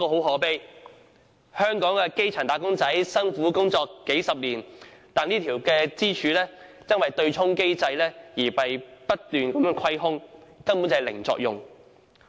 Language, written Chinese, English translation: Cantonese, 可悲的是，香港的基層"打工仔"辛苦工作數十載，但這根支柱卻因為對沖機制而被不斷蠶食，以致未能發揮作用。, It is lamentable that grass - roots wage earners despite decades of toil have to watch this pillar being eroded continuously by the offsetting mechanism and it being handicapped in fulfilling the intended functions